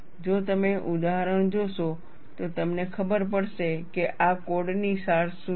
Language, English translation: Gujarati, You see the examples; then you will know, what is the essence of this code